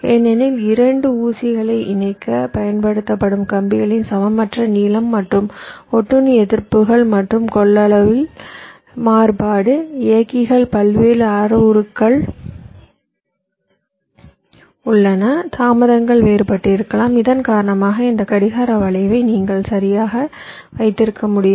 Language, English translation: Tamil, because of the means unequal length of the wires that are used to connect the two pins, and also variability in the parasitic resistances and capacitances drivers various parameters are there, the delays can be different and because of that you can have this clock skew right